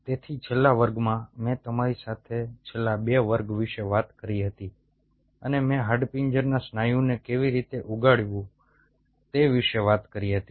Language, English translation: Gujarati, so in the last class i talked to you about last couple of classes, i talked to you about how to grow the skeletal muscle